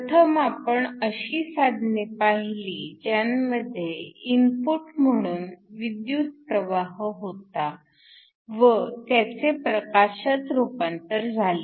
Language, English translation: Marathi, We first looked at devices where we have an input electrical current and convert that into light